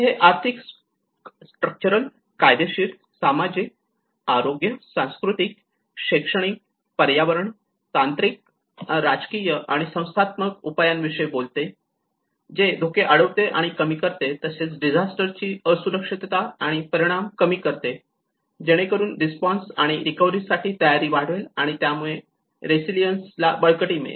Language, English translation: Marathi, It talks about the economic, structural, legal, social, health, cultural, educational, environment, technological, political and institutional measures that prevent and reduce hazard, exposure and vulnerability to disaster so that it can increase the preparedness for response and recovery thus strengthening the resilience